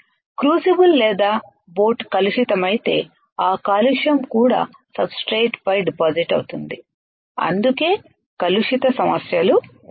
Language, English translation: Telugu, If the crucible or boat is contaminated, that contamination will also get deposited on the substrate that is why there is a contamination issues right